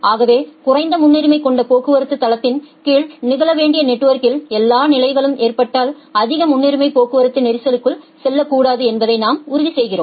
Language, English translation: Tamil, So, we are ensuring that the high priority traffic does not go into the congestion, if at all condition occurs in the net network that should occur under low priority traffic site